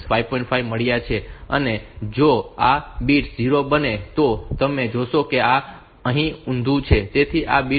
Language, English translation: Gujarati, 5 if these bits are made 0 so you see that this is inverted here, so this bit is so if say 6